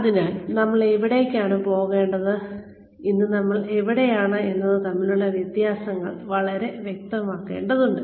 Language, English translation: Malayalam, So, the differences between, where we want to go, and where we are today need to be very very clear